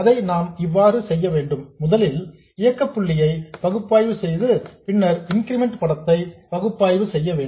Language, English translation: Tamil, The way we do it is first we analyze the operating point then we analyze the incremental picture